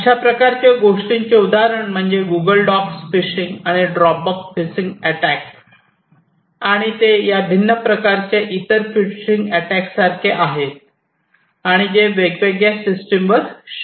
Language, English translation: Marathi, So, example of this thing is Google docs phishing and Dropbox phishing attacks and they are like these different types of other phishing attacks that are possible on different systems